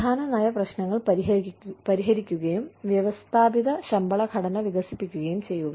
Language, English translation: Malayalam, Address key policy issues, develop systematic pay structures